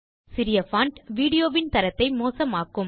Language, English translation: Tamil, Small font result in poor quality video